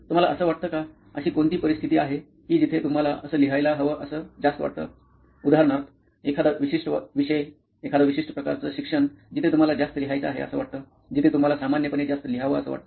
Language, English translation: Marathi, Do you feel, are there scenarios where you feel it is more necessary to write than, say for example, a certain subject, a certain kind of learning where you feel you need to write more, where you feel you generally write more